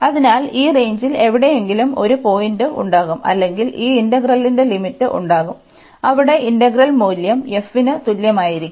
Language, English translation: Malayalam, So, there will be a point somewhere in this range or the limits of this integral, where the integral value will be equal to f